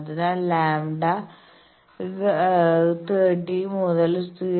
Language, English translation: Malayalam, So, lambda will be 30 by 7